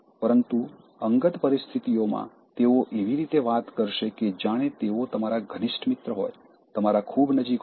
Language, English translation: Gujarati, But, in private situation, they will talk in such a manner that they are your intimate friend, very close to you